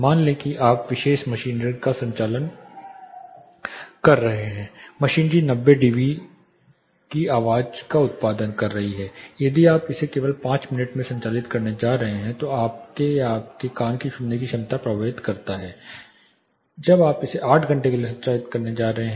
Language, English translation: Hindi, Say you are operating particular machinery, the machinery is producing 90 dB sounds if you are just going to operate it for example, 5 minutes the impact which it causes to you or your ear hearing ability is different, when you are going to operate it for 8 hours a day